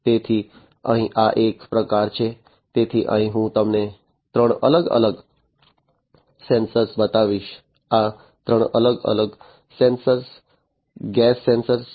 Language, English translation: Gujarati, So, here this is one type of; so, here I will show you three different sensors, these are three different gas sensors right